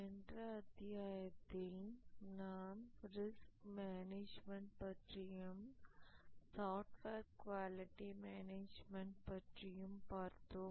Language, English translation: Tamil, In the last lecture we had discussed about risk management and then we had started discussing about software quality management